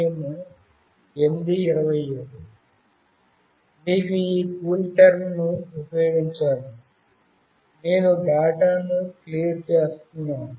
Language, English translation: Telugu, You have to use this CoolTerm; where I am clearing the data